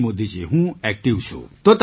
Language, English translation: Gujarati, Yes Modi ji, I am active